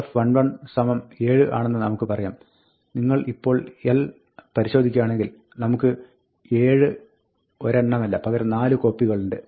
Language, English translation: Malayalam, Now, we say l 1 1 is equal to 7, and if you look at l now, we will find that we have not one 7, but 4 copies of 7